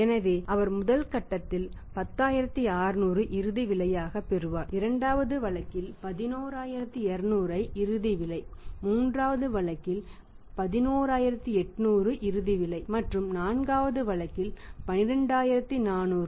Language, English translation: Tamil, So, he will receive in the first phase 10600 which is the final price, in the second case 11200 which is the final price, third case 11800 which is the final price and fourth case 12400 price inclusive of all the inputs including profit